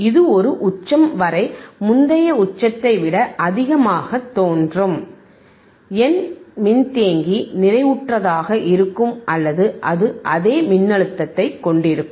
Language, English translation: Tamil, uUntil a peak which is higher than the earlier peak will appear, my capacitor will remain saturated or it will have same voltage